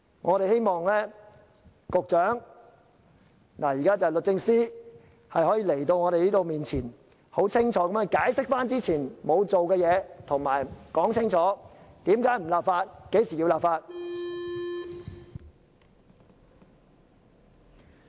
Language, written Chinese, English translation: Cantonese, 我們希望律政司司長可以到立法會，在我們面前，清楚解釋過去沒有做的事，說清楚為甚麼不立法和何時會立法。, We hope that the Secretary for Justice can come to the Legislative Council and clearly explain before us what has not been done in the past and why a law is not enacted and when the law will be enacted